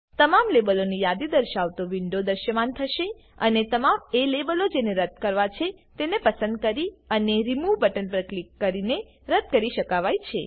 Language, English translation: Gujarati, A window with all the labels listed will appear and the labels that need to be deleted can be selected and deleted by clicking on Remove button